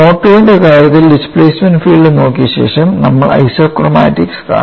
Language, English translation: Malayalam, Where in the case of mode 2, we will quickly see after looking at the displacement field we will see the isochromatics